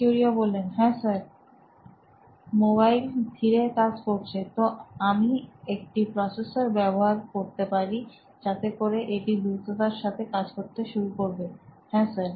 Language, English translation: Bengali, Yes, sir, mobile running slow, so I can use a processor which will make it run faster, yes sir